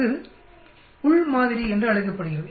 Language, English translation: Tamil, That is called the within sample